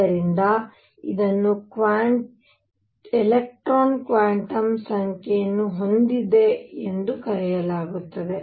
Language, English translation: Kannada, So, this is called electron has a quantum number of it is own